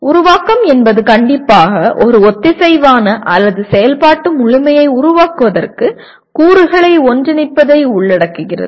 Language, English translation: Tamil, Creation is strictly involves putting elements together to form a coherent or a functional whole